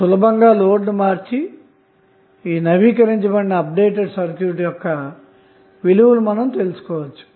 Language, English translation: Telugu, You have to just simply change the load and find out the updated value